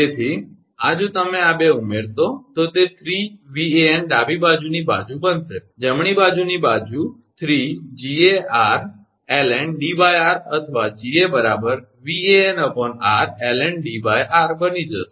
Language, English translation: Gujarati, So, this if you add these 2, it will become 3 Van left hand side, right hand side will become 3 Ga r ln D upon r or Ga is equal to Van r ln D upon r